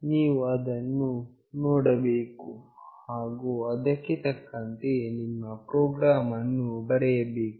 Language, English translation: Kannada, You have to see that and write your program accordingly